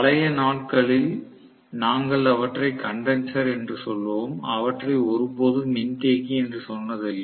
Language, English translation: Tamil, In older days we used to call them as condenser, we never used to call them as capacitor